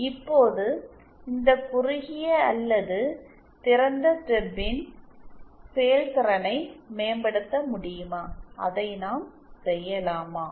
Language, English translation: Tamil, Now, can we improve the performance of this shorted or open stub, can we do that